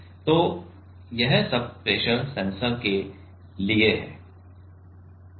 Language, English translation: Hindi, So, this that is all for pressure sensor means pressure sensor